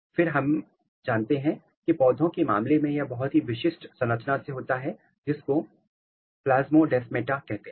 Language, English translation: Hindi, And, then we know that this is happening through a very very special structure in case of plant which is plasmodesmata